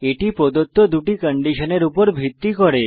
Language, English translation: Bengali, These are based on the two given conditions